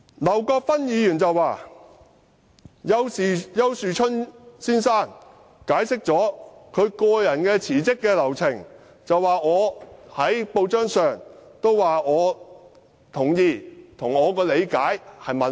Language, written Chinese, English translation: Cantonese, 劉國勳議員說，丘樹春先生已經解釋他辭職的流程，而我在報章上也表示同意，並指出與我的理解吻合。, Mr LAU Kwok - fan said that Mr Ricky YAU had explained the sequence of events related to his resignation and I expressed consent in the press saying that it was consistent with my understanding